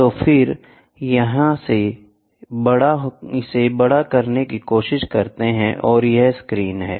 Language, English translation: Hindi, So, then it tries to magnify and this is the screen